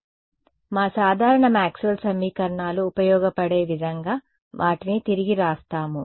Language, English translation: Telugu, So, our usual Maxwell’s equations let us just rewrite them in a way that is useful